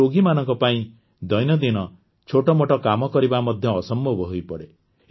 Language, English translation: Odia, It becomes difficult for the patient to do even his small tasks of daily life